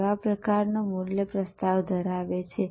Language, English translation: Gujarati, What kind of value proposition